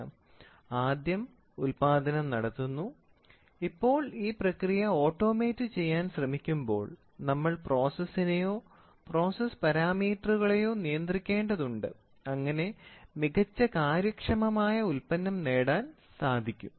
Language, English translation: Malayalam, First is producing and now when we try to automate the process, we are supposed to control the process or the process parameters whatever it is, so that you try to get the best efficient product